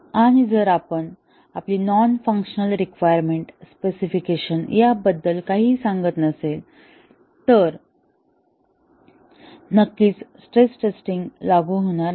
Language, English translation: Marathi, And if our non functional requirement specification does not tell anything about this then of course, the stress testing would not be applicable